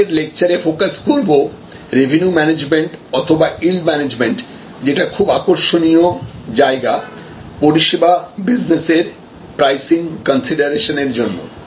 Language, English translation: Bengali, We are going to focus in the next lecture on revenue management or yield management, an interesting area for pricing considerations in the services business